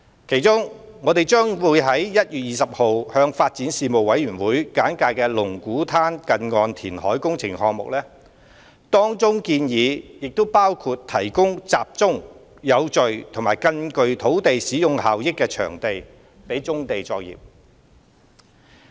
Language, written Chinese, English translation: Cantonese, 其中，我們將於1月20日向發展事務委員會簡介龍鼓灘近岸填海工程項目，當中建議亦包括提供集中、有序及更具土地使用效益的場地予棕地作業。, In this connection we will brief the Panel on Development on the Lung Kwu Tan near - shore reclamation project on January 20 . The recommendations also include supplying land for concentrated orderly and more land - use - efficient accommodation for brownfield operations